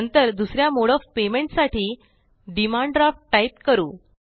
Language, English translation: Marathi, Next, lets type the second mode of payment as Demand Draft